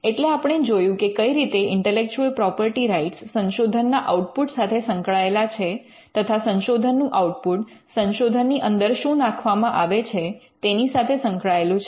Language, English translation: Gujarati, Now, we just saw how intellectual property rights are connected to the research output and how the research output is connected to what gets into research